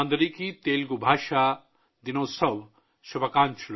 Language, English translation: Urdu, Andariki Telugu Bhasha Dinotsava Shubhakankshalu |